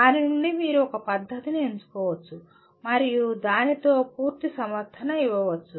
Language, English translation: Telugu, Out of that you can select one method and giving full justification